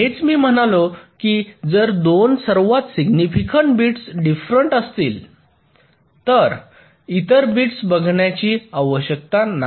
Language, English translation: Marathi, if the two most significant bits are different, then there is no need to look at the other bits